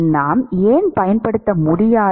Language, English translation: Tamil, Why cannot we use